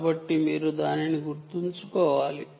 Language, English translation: Telugu, so you have to keep that in mind